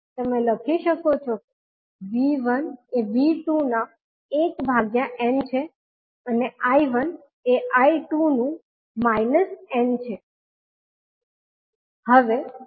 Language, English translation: Gujarati, You can write V1 is nothing but 1 by n of V2 and I1 is minus n of I2